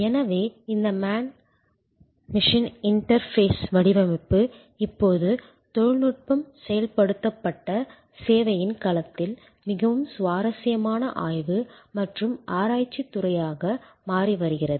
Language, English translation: Tamil, So, this man machine interface design therefore, is now becoming a very interesting a study and research field in the domain of technology enabled service